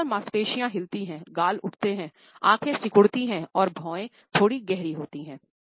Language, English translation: Hindi, Mass muscles move, cheeks rise, eyes squeeze up and eyebrows deep slight